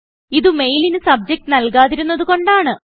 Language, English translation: Malayalam, This is because we did not enter a Subject for this mail